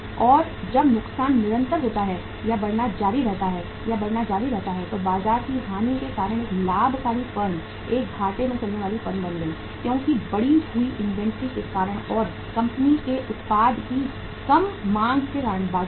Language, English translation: Hindi, And when the loss is sustained or continued to increase or to grow, loses continued to grow then a profitmaking firm became a lossmaking firm because of the loss of the market, because of the increased inventories and because of the less demand for the company’s product in the market